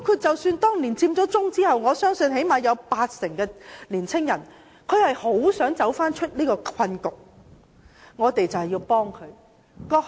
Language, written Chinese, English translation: Cantonese, 在佔中之後，我相信最少八成青年人很想走出這個困局，我們要幫助他們。, After Occupy Central I believe at least 80 % of young people really want to get out of the deadlock and we should help them